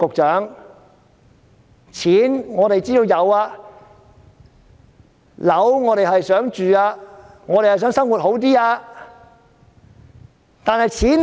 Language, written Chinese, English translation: Cantonese, 錢，我們知道有；樓，我們也很想住，我們也想生活好一些。, In terms of money we know that we have some . In terms of housing we also want to have our own home and live better